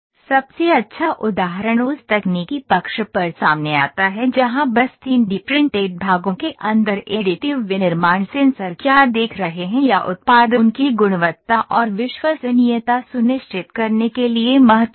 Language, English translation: Hindi, The best example comes to the fore on that technical side where simply understanding what additive manufacturing sensors are seeing inside the 3D printed parts or product is critical to ensuring their quality and reliability